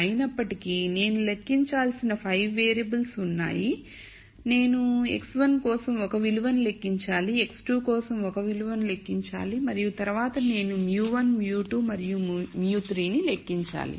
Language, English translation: Telugu, However, I have 5 variables that I need to compute, I need to compute a value for x 1, I need to compute a value for x 2 and then I need to compute mu 1, mu 2 and mu 3